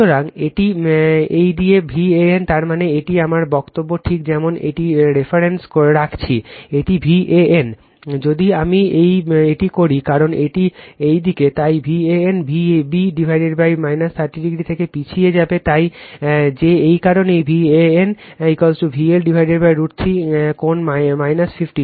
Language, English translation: Bengali, So, it is in this direction V an, that means, this is my say just as a reference am putting, this is V an, if i make it right because this is this direction, so V an will lag from V b by minus 30 degree So, that is why that is why your V an is equal to V L upon root 3 angle minus 50